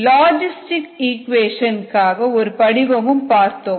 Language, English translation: Tamil, then we will looked at one other model, the logistic equation